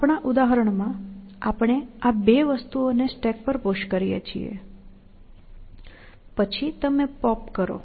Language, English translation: Gujarati, In our example, we push these two things on to the stack; then, you pop